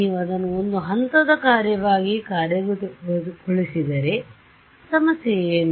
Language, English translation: Kannada, If you implement it as a step function what is the problem